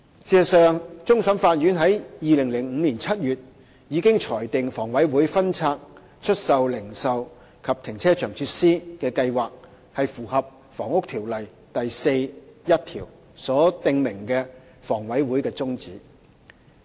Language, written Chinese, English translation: Cantonese, 事實上，終審法院在2005年7月已經裁定，房委會分拆出售零售和停車場設施的計劃符合《房屋條例》第41條所訂明的房委會的宗旨。, In fact the Court of Final Appeal CFA ruled in July 2005 that HAs plan to divest its retail and car parking facilities was in line with the objectives of HA stipulated in section 41 of the Housing Ordinance